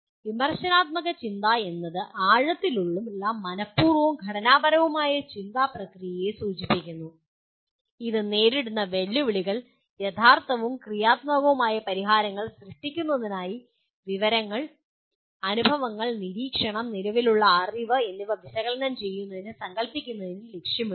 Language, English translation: Malayalam, Critical thinking refers to the deep intentional and structured thinking process that is aimed at analyzing and conceptualizing information, experiences, observation, and existing knowledge for the purpose of creating original and creative solution for the challenges encountered